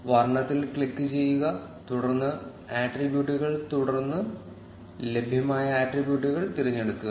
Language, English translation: Malayalam, Click on color, then attributes and then choose the available attributes